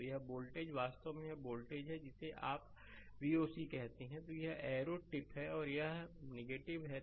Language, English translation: Hindi, So, this voltage actually this voltage your what you call the V oc, that arrow tip is plus and this is minus